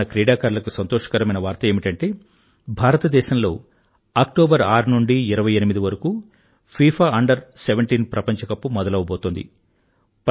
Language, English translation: Telugu, The good news for our young friends is that the FIFA Under 17 World Cup is being organized in India, from the 6th to the 28th of October